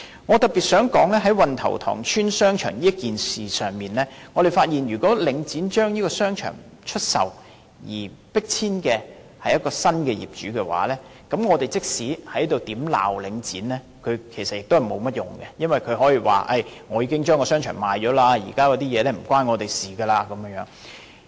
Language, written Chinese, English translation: Cantonese, 我特別想指出，在運頭塘邨商場這事上，我認為領展既然已將商場出售，而迫遷的是新業主，那麼，即使我們在這裏如何責罵領展也沒有甚麼用，因為它可以說已經將商場出售，現在的事情與它再沒有關係。, I wish to point out in particular that on this incident concerning the shopping centre of Wan Tau Tong Estate since Link REIT has already sold this shopping centre and it is the new owner who forced the shop tenants to leave I think it is useless no matter how we criticize Link REIT here because it can say that it has already sold the shopping centre and whatever happened after the sale has nothing to do with it